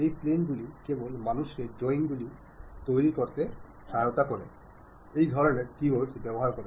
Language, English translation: Bengali, This planes are just for the to help the person to construct the drawings, these kind of keywords have been used